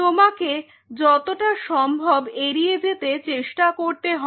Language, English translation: Bengali, Try to avoid this as much as you can